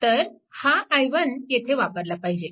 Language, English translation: Marathi, So, this is your i 1